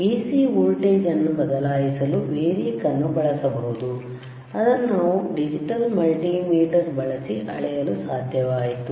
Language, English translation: Kannada, Variac can be used to change the AC voltage, which we were able to measure using the digital multimeter